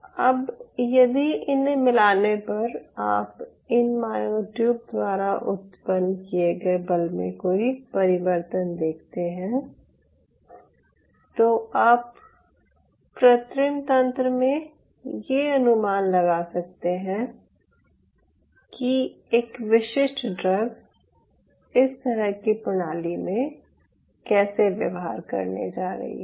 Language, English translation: Hindi, now, upon adding, if you see the change in the force generated by the myotube, then in a very clean system, in vitro setup, you will be able to predict how a specific drug is going to behave in a system like this